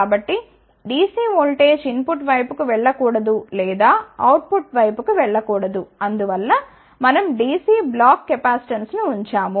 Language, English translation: Telugu, So, that this DC voltage should not go to the input side or should not go to the output side hence we put the DC block capacitance